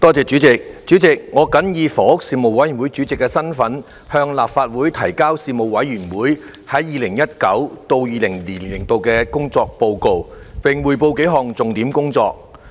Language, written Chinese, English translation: Cantonese, 主席，我謹以房屋事務委員會主席的身份，向立法會提交事務委員會 2019-2020 年度的工作報告，並匯報數項重點工作。, President in my capacity as Chairman of the Panel on Housing the Panel I submit the work report of the Panel for the year 2019 - 2020 and brief the Council on several key pieces of work of the Panel